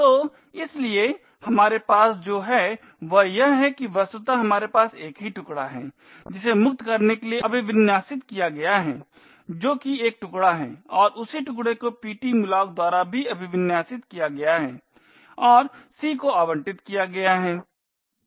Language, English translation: Hindi, So, therefore what we have here is that virtually we have one chunk which is configured to be freed that is the a chunk and the same chunk is also configured by ptmalloc and allocated to c